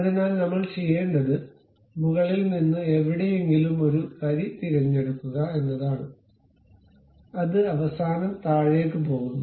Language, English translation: Malayalam, So, what we will do is pick a line from somewhere of certain mouth, it goes there all the way down end